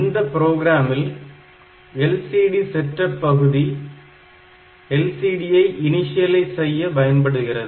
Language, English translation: Tamil, So, first this LCD setup parts initializing LCD